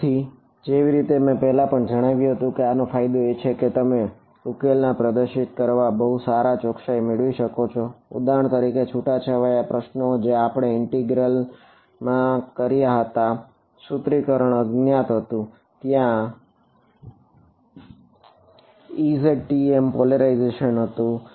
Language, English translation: Gujarati, So, as I mentioned earlier the advantage of this is that you get much better accuracy in representing a solution and for example, the scattering problem which we did in the integral formulation are unknown there was E z TM polarization